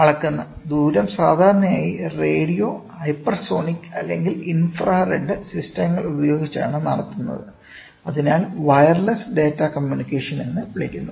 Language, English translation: Malayalam, The distance measured is usually performed using radio, hypersonic or infrared systems and hence referred as a wireless data communication